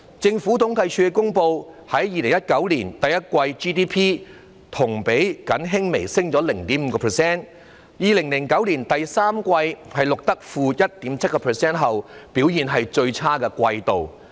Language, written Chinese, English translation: Cantonese, 政府統計處公布了2019年第一季的 GDP， 同比僅微升 0.5%， 為自從在2009年第三季錄得 -1.7% 後，表現最差的季度。, The Census and Statistics Department announced the GDP for the first quarter of 2019 which rose only slightly by 0.5 % year on year and was the worst performing quarter ever since - 1.7 % was recorded in the third quarter of 2009